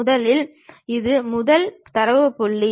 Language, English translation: Tamil, First of all this is the first data point